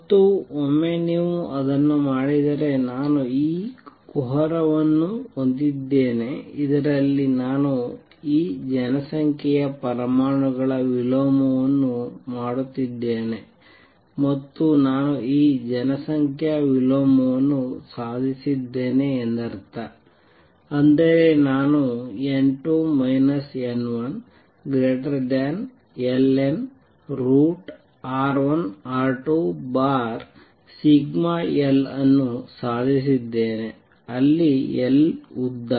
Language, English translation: Kannada, And once you do that, so I have this cavity in which I am doing this population inversion of atoms and suppose I have achieved this population inversion that means, I have achieved n 2 minus n 1 greater than minus log of root R 1 R 2 over sigma L, where L is the length